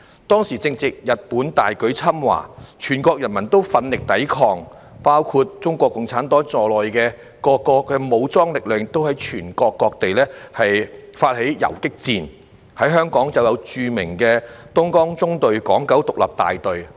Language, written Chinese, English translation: Cantonese, 當時正值日本大舉侵華，全國人民奮力抵抗，包括中國共產黨在內的各個武裝力量亦在全國各地發起游擊戰，在香港便有著名的東江縱隊港九獨立大隊。, That was the time when Japan had launched a massive invasion into China and people all over the country fought hard to resist . Various armed forces including the Communist Party of China launched guerrilla warfare throughout the country . In Hong Kong there was the famous Hong Kong Independent Battalion of the Dongjiang Column